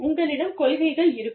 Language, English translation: Tamil, You will have, policies